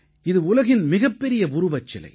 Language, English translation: Tamil, It is the tallest statue in the world